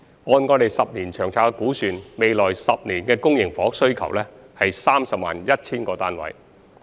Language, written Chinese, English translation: Cantonese, 按未來10年的《長遠房屋策略》估算，下一個十年期的公營房屋需求是 301,000 個單位。, According to the projection under the Long Term Housing Strategy for the next decade the public housing demand in the coming 10 - year period is 301 000 units